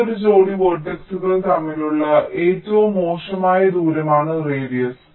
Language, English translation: Malayalam, radius is the worst case: distance between any pair of vertices